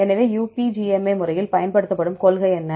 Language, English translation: Tamil, So, what the principle used in the UPGMA method